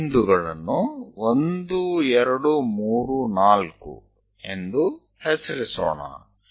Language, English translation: Kannada, Let us name it points 1, 2, 3, 4